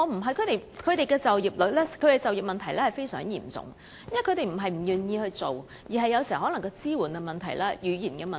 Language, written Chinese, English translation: Cantonese, 少數族裔的就業問題非常嚴重，他們並非不願意工作，有時其實關乎支援和語言等問題。, The ethnic minorities are facing very serious employment problems not because they are unwilling to work but sometimes because of such problems as lack of support and language barrier